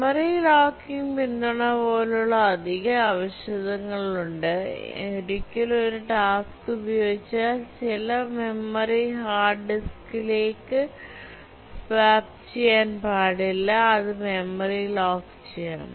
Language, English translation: Malayalam, There are additional requirements like memory locking support that once a task uses certain memory, there should not be swapped to the hard disk and so on